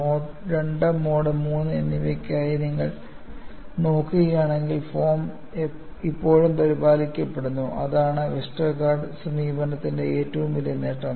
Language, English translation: Malayalam, And if you look at, for Mode 2 as well as Mode 3, the form is still maintaining; that is the greatest advantage of Westergaard’s approach